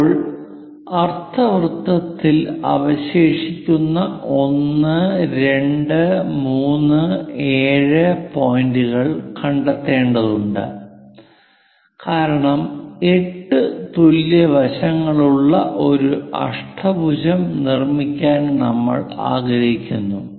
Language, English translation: Malayalam, Now, we have to locate the remaining points like 1, 2, 3 and so on 7 points on the semicircle because we would like to construct an octagon of 8 equal sides